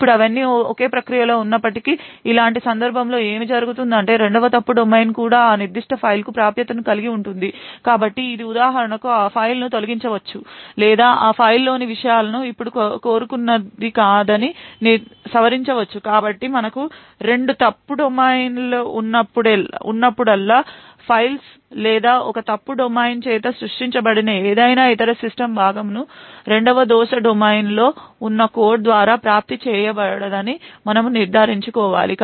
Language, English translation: Telugu, Now what could happen in such a case is that the second fault domain would also be able to have access to that particular file, so it could for example delete that file or modify that the contents of that file now this is not what is wanted, so whenever we have two fault domains we need to ensure that files or any other system component that is created by one fault domain is not accessible by the code present in the second fault domain even though all of them are in the same process